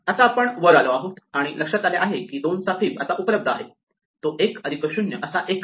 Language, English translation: Marathi, Now we come up and we realize that fib of 2 is now available to us, it is 1 plus 0 is 1